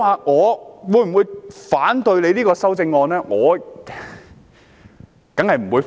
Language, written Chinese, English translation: Cantonese, 我會否反對這項修正案？, Will I object to this amendment?